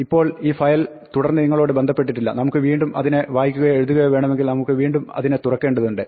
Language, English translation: Malayalam, Now, this file is no longer connected to us if we want to read or write it again we have to again open it